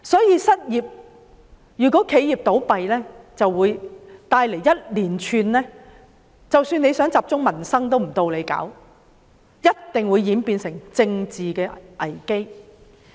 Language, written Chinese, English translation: Cantonese, 由於企業倒閉會帶來連串影響，即使當局想集中處理民生也不能，屆時定會演變成政治危機。, Given the series of consequences resulting from the closure of enterprises the Government cannot focus on addressing livelihood issues even if it wishes to do so and this will develop into a political crisis